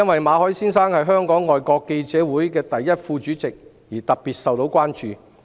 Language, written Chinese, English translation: Cantonese, 馬凱先生是香港外國記者會第一副主席，其個案因而受到特別關注。, Since Mr MALLET is the First Vice President of the Foreign Correspondents Club Hong Kong FCC his case has drawn special attention